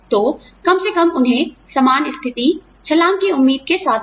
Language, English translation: Hindi, So, at least give them, the same position, with the hope of a jump